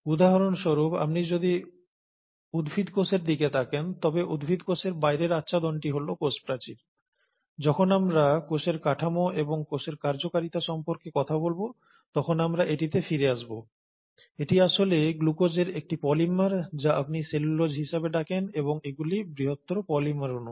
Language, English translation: Bengali, For example, if you look at the plant cell, the outer covering of the plant cell is the cell wall, and we’ll come to it when we’re talking about cell structure and cell function is actually a polymer of glucose, which is made up of, which is what you call as cellulose, and these are huge polymeric molecules